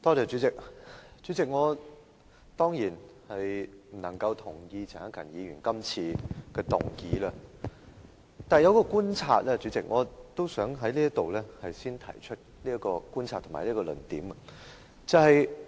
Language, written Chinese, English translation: Cantonese, 主席，我當然不能同意陳克勤議員今次提出的議案，但有一觀察我想先在此提出並闡明我的論點。, President I certainly cannot agree with the motion moved by Mr CHAN Hak - kan but I would like to raise a point about my observation first and express my viewpoints on the issues concerned